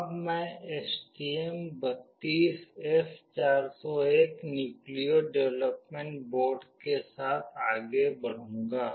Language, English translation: Hindi, Now, I will move on with STM32F401 Nucleo development board